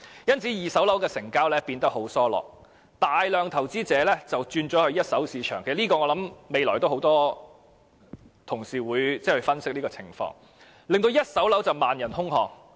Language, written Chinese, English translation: Cantonese, 因此，二手住宅物業的成交變得疏落，大量投資者轉往一手住宅物業市場——我想很多同事稍後會分析這種情況——令一手住宅物業市場萬人空巷。, As a result transactions of second - hand residential properties have slackened . A large number of investors have switched to the first - hand residential property market―I guess many Honourable colleagues will analyse this situation later―thus causing the boom in the first - hand residential property market